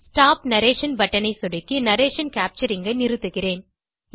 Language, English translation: Tamil, I will stop capturing the narration by clicking on the Stop Narration button